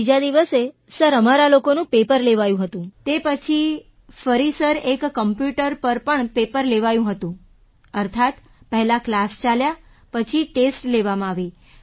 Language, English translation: Gujarati, On the third day, sir, we had our paper… after that sir, there was a paper also on the computer… meaning, first the class was conducted and then the test was taken